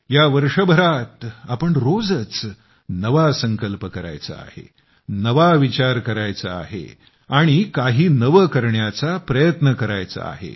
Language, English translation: Marathi, This year we have to make new resolutions every day, think new, and bolster our spirit to do something new